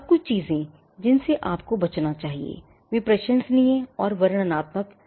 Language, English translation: Hindi, Now, certain things that you should avoid are laudatory and descriptive matters